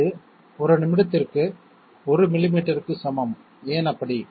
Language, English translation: Tamil, That is equal to 1 millimetre per minute, why so